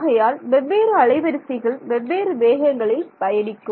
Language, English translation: Tamil, So, different frequencies travel with different speeds ok